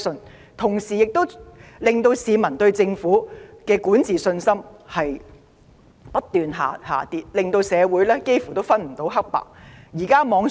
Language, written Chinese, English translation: Cantonese, 與此同時，市民對政府的管治信心不斷下跌，社會幾乎分不清黑白。, At the same time the citizens confidence in the governance of the Government continues to fall . Society has almost come to the point of not being able to tell black from white